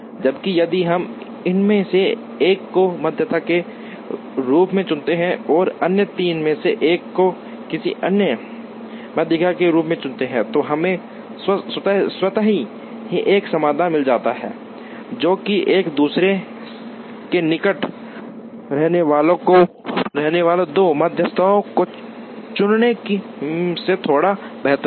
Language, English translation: Hindi, Whereas, if we choose one of these as median and one of the other three as another median then we automatically get a solution, which is slightly better than choosing two medians that are near each other